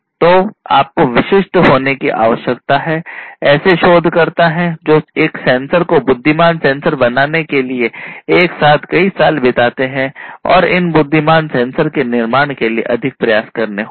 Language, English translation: Hindi, So, you need to be specialized, you know, there are researchers who spend years together to build a sensor and intelligent sensors it will take even more you know effort to build these intelligent sensors